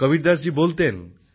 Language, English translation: Bengali, Kabirdas ji used to say,